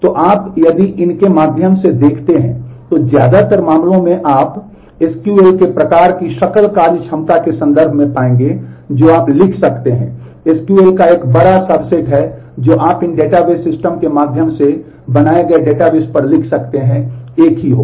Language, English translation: Hindi, So, if you look in through these, then in most cases you will find in terms of the gross functionality of the kind of SQL that you can write, a large subset of the SQL that you can write on databases maintained through these database systems will be same